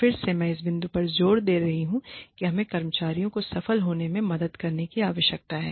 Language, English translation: Hindi, Again, i am emphasizing on this point, that we need to help the employees, succeed